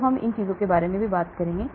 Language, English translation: Hindi, So those things we will talk about it